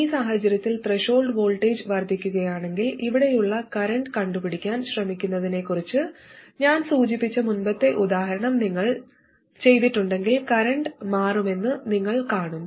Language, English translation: Malayalam, Whereas in this case, if the threshold voltage increases and if you carried out that earlier exercise I mentioned of trying to solve for the current here, you will see that the current will change